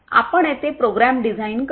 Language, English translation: Marathi, Do you program the design here